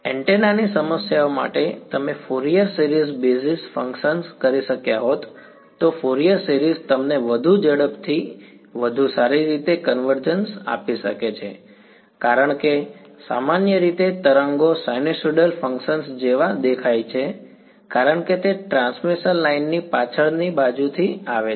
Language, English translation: Gujarati, Right you could have done a Fourier series basis functions in fact for a antenna problems Fourier series is may give you better convergence faster because in general the waves look like sinusoidal functions because they coming from the back side from a transmission line